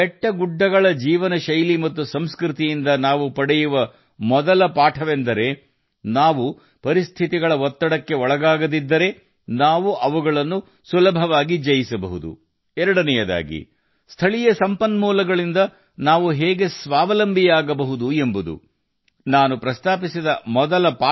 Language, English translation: Kannada, The first lesson we get from the lifestyle and culture of the hills is that if we do not come under the pressure of circumstances, we can easily overcome them, and secondly, how we can become selfsufficient with local resources